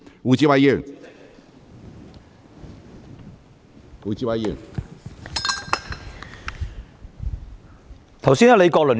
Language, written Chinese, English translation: Cantonese, 胡志偉議員，請提問。, Mr WU Chi - wai please ask your question